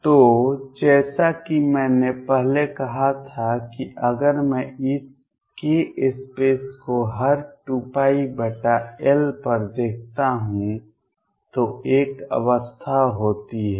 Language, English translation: Hindi, So, as I said earlier if I look at this case space every 2 pi by L there is one state